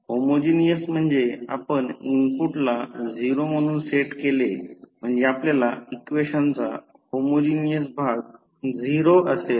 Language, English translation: Marathi, Homogeneous means you set the input to 0, so we get the homogeneous part of the equation to 0